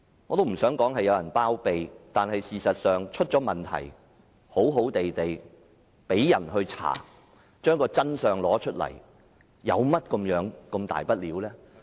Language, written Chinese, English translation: Cantonese, 我不想指有人包庇，但出現問題後，展開調查找出真相又有何大不了？, I do not want to accuse anyone of shielding but what is wrong with conducting an investigation to reveal the truth of the problems that have arisen?